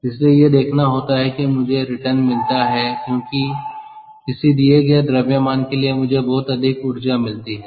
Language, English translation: Hindi, so i will going to get the returns because for a given mass i i get a lot more energy, all right